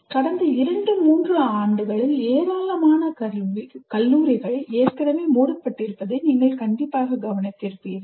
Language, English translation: Tamil, As you would have noticed that in the last two, three years, large number of colleges got already closed